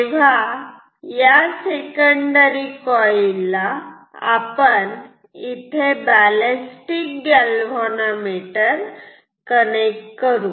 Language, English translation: Marathi, You can call it secondary and we will connect a ballistic galvanometer here